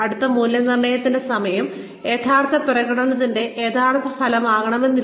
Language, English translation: Malayalam, So, the timing of the appraisal, may not really be a true reflection, of the actual performance